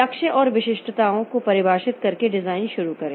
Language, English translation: Hindi, Start the design by defining goals and specifications